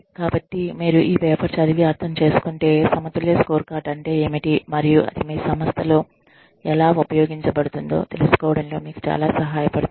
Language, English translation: Telugu, So, if you can lay your hands on this paper, it will be a very helpful for you in understanding, what the balanced scorecard is, and how it can be used in your organization